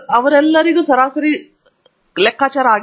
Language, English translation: Kannada, They all have the same average